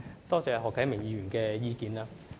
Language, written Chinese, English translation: Cantonese, 多謝何啟明議員的意見。, I thank Mr HO Kai - ming for his views